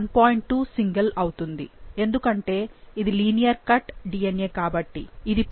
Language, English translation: Telugu, 2 single, since it is a linear cut DNA, this would be the 1